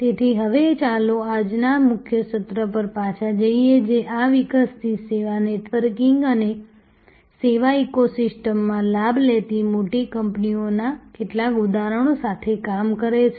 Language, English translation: Gujarati, So, now let us go back to the core session of today, which is dealing with some examples of large companies taking advantage of this evolving service networking and service ecosystem